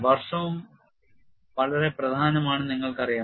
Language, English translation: Malayalam, You know year is also very important